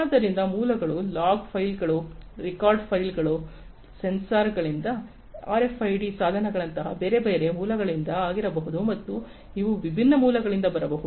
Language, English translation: Kannada, So, the sources could be from log files, record files, you know from sensors, from different other sources like RFID devices, etcetera and these could be coming from different sources